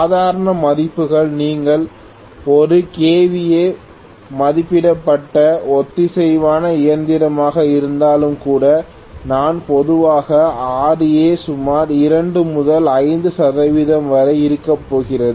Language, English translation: Tamil, Normal values if you look at even if it is a kVA rated synchronous machine I am normally going to have Ra about 2 to 5 percent, what I mean is 0